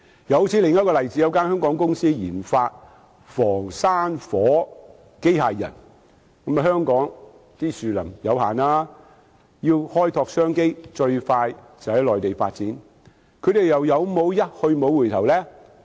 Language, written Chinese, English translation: Cantonese, 又正如另一個例子，有一間香港公司研發防山火機械人，但香港的樹林面積有限，要開拓商機，最快便是在內地發展，他們又有否一去不回首呢？, Another example is that a Hong Kong company has developed a wildfire prevention robot . But hills and mountains cover a limited area in Hong Kong . If they want to explore business opportunities the fastest way is to seek development on the Mainland